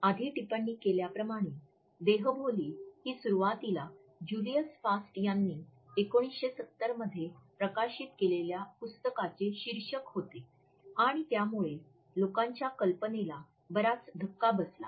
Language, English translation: Marathi, As we have commented earlier, Body Language was initially the title of a book which was published in 1970 by Julius Fast, and it gripped the popular imagination immediately